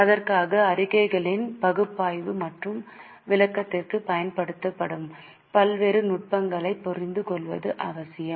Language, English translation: Tamil, For that, it is necessary to understand various techniques used for analysis and interpretation of the statements